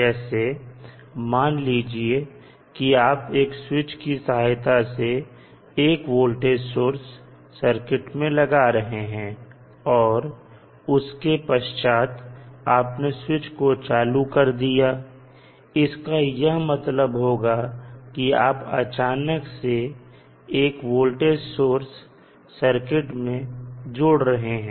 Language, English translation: Hindi, So, you suppose you are connecting the circuit with the voltage source through a particular switch and then you switch on the switch means you are basically adding the voltage source suddenly to the circuit